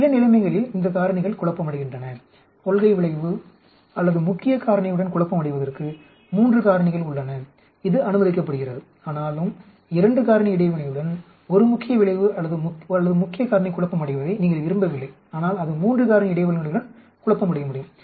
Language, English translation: Tamil, We have these factors confounding in some situations, we have three factors confounding with the principle effect or main factor which is allowed but, you do not want a main effect or main factor confounding with 2 factor interaction but it can confound with 3 factor interaction